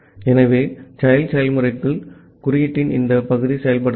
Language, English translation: Tamil, So, inside the child process this part of the code will get executed